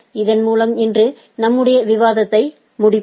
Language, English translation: Tamil, With this let us conclude our discussion today